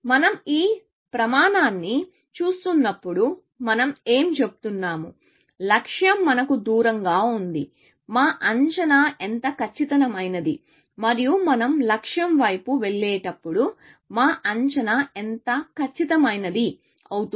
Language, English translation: Telugu, When we are looking at this criterion, we are saying; is that the farther we have from the goal; the less accurate our estimate is, and the closer we go towards the goal, the more accurate our estimate becomes